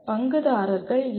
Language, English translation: Tamil, Who are the stakeholders